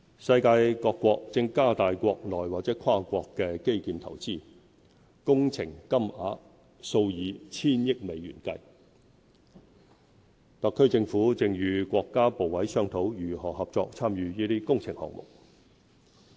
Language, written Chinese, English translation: Cantonese, 世界各國正加大國內或跨國基建投資，工程金額數以千億美元計，特區政府正與國家部委商討如何合作參與這些工程項目。, Countries across the globe are increasing their investments in local or cross - boundary infrastructure developments . Such projects are worth hundreds of billions of US dollars . The HKSAR Government is discussing with the Mainland authorities how we can participate jointly in these projects